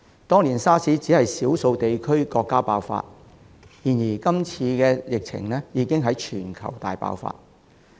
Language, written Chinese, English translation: Cantonese, 當年 SARS 只在少數地區和國家爆發，但今次疫情已經在全球大爆發。, While the SARS epidemic only broke out in a few regions and countries there has been a global outbreak this time around